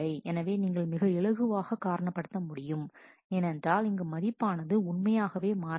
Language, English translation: Tamil, So, you can you can easily reason, that the values have actually not changed ok